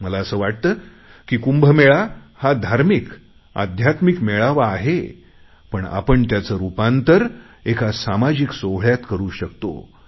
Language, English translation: Marathi, I believe that even if the Kumbh Mela is a religious and spiritual occasion, we can turn it into a social occasion